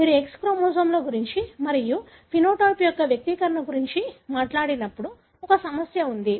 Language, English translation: Telugu, There is a complication when you talk about X chromosomes and their expression of the phenotype